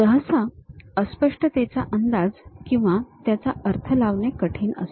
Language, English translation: Marathi, Usually, ambiguity are hard to guess or interpret is difficult